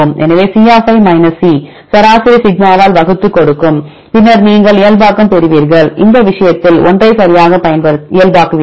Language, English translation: Tamil, So, will give the C C average divide by sigma, then you will get the normalization then in this case, you will get the numbers right normalize with this respect to 1